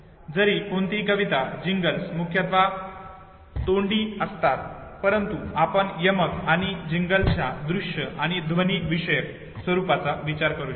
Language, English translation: Marathi, Although no Rhymes and Jingles are mostly verbal you can think of a visual and auditory formats of rhymes and jingles